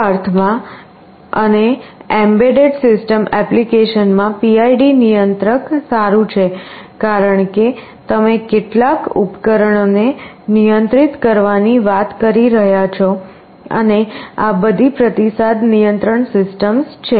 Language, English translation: Gujarati, PID controller is good in this sense and in embedded system applications, because you are talking about controlling some appliances and all of these are feedback control systems